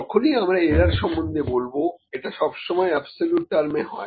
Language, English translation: Bengali, Now when we talk about the error, errors are absolute terms mostly